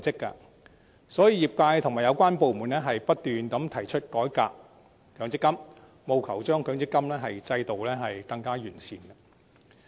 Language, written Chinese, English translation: Cantonese, 因此，業界和有關部門已不斷提出改革強積金，務求令強積金制度更趨完善。, Hence the industry and relevant departments have made numerous proposals for revamping MPF so as to enhance the MPF System